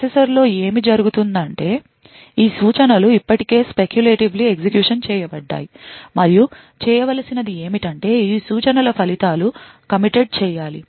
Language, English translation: Telugu, But what happens within the processor is that these instructions are already speculatively executed and the only thing that is required to be done is that the results of these instructions should be committed